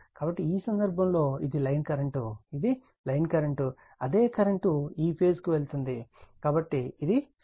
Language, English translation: Telugu, So, in this case, this is my line current, this is my line current, same current is going to this phase, so this is my phase current